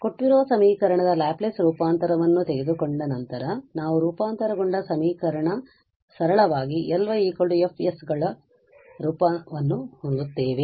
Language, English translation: Kannada, So, we have the given equation after taking the Laplace transform we have the transformed equation and that we will simply to have this form L y is equal to F s